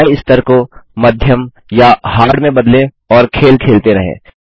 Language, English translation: Hindi, Change the difficulty level to Medium or Hard and play the game